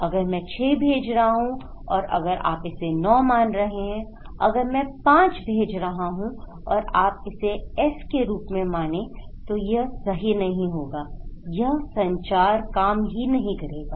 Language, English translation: Hindi, If I am sending 6 and if you are considering it as 9, if I am sending 5 and if you are considering it as S then it would not work right, it would not work